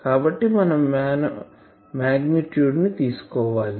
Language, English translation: Telugu, So, we need to take the magnitude